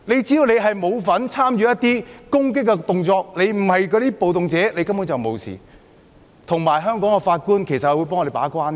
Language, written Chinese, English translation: Cantonese, 只要示威者沒有參與攻擊，不是暴動者，根本沒有問題，而且香港法官會把關。, As long as the protesters had not participated in the attack they are not rioters . There is no problem at all and judges in Hong Kong will serve as gatekeepers